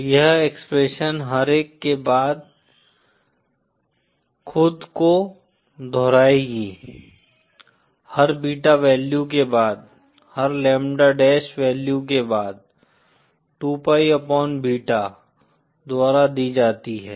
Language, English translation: Hindi, So this expression will repeat itself after every one, after every beta value, after every lambda dash value, given by two Pi upon beta